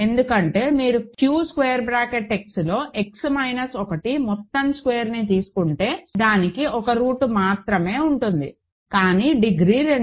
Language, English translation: Telugu, Because if you to take X minus 1 whole squared in a Q X it has only one root, but degree 2